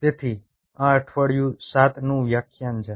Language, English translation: Gujarati, so this is our lecture three, and this is week seven